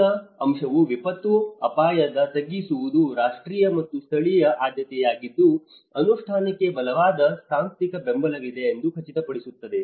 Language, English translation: Kannada, The first point talks about ensure that disaster risk reduction is a national and the local priority with a strong institutional basis for implementation